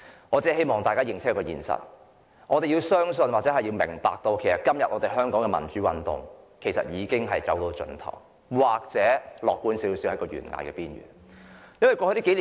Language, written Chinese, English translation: Cantonese, 我只希望大家清楚一個事實，我們要明白，香港的民主運動已經走到盡頭，而較為樂觀的說法是，已經在懸崖邊緣。, I only want to make a point clear the democratic movement in Hong Kong has already come to an end; a more optimistic saying is that the movement is on the edge of the cliff